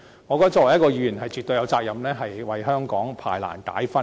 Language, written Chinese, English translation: Cantonese, 我認為作為一名議員，絕對有責任為香港排難解紛。, I opine that as Members of this Council we are absolutely responsible for coming up with solutions to the problems facing Hong Kong